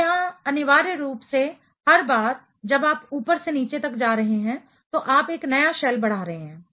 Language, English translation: Hindi, So, what essentially happening here is every time you are going from top to bottom ok, you are increasing a new shell